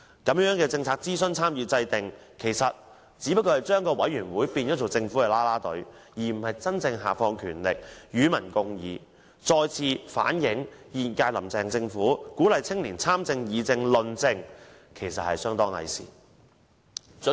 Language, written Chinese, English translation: Cantonese, 這樣的政策諮詢、參與和制訂，其實只是把委員會變成政府啦啦隊，而非真正下放權力、與民共議，再次反映現屆"林鄭"政府鼓勵青年參政、議政、論政的說法，其實是相當偽善的。, It is also difficult for the general public to get to know the details therein . Policy consultation participation and formulation in this manner is no different from making the commissions cheering teams of the Government instead of true power delegation and public discussions which once again shows that the claim of the Carrie LAM Administration to encourage young people to participate in comment on and discuss politics was actually a most hypocritical act